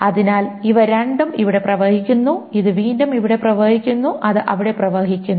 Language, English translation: Malayalam, So these two flows here, this again flows, and this flows here